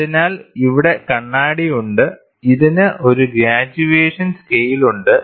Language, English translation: Malayalam, So, here there is mirror and this in turn has a graduation scale